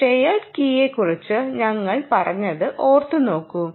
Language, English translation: Malayalam, remember we mentioned about the shared key